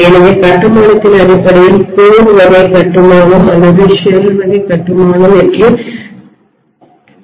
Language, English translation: Tamil, So based on construction we may have something called core type construction or shell type construction